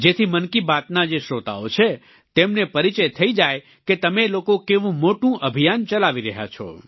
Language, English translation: Gujarati, So that the listeners of 'Mann Ki Baat' can get acquainted with what a huge campaign you all are running